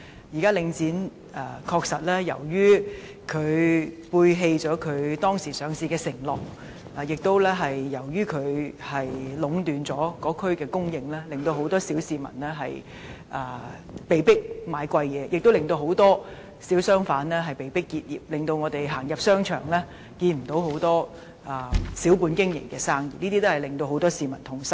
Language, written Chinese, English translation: Cantonese, 現時，領展確實背棄了其上市時的承諾，由於領展壟斷該區的供應，很多小市民被迫購買較貴的商品，很多小商販亦被迫結業，以致我們再無機會在商場看到小本經營的商鋪，這些情況均令很多市民感到痛心。, Since the supply of goods in an estate is monopolized by Link REIT many members of the public are forced to purchases goods at higher costs and many small shop operators are forced to close down . As a result we cannot see small businesses in shopping arcades . The public feel distressed by these situations